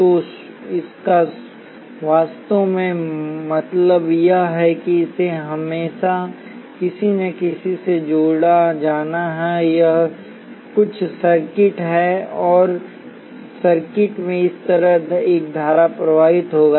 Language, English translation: Hindi, So what it really means is that this has to be always connected to something, this is some circuit and a current will be flowing like this into the circuit